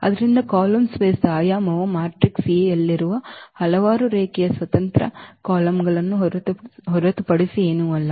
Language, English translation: Kannada, So, the dimension of the column space is nothing but the its a number of linearly independent columns in the in the matrix A